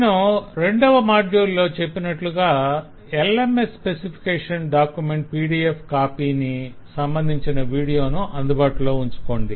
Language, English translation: Telugu, so as i had advised in the last module 02 please keep the document of the lms specification the pdf handy keep the video handy